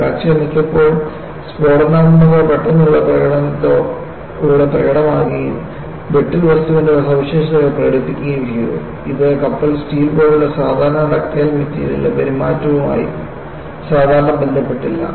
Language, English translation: Malayalam, The fractures, in many cases, manifested themselves with explosive suddenness and exhibited the quality of brittleness, which was not ordinarily associated with the behavior of a normally ductile material, such as ship steel’